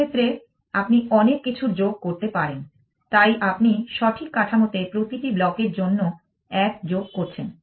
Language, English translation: Bengali, In this case, you may an a add of many things, so you are adding one for every block in the correct structure